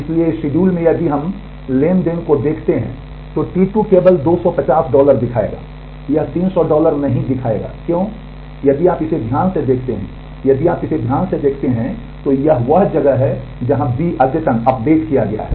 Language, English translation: Hindi, So, in this schedule if we look at the transaction T 2 will display only 250 dollar, it will not display 300 dollar why because, if you if you look at this carefully, if you look at this carefully this is where B has got updated